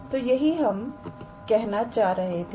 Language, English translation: Hindi, So, that is what we are saying